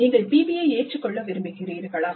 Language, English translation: Tamil, You want to adopt PBI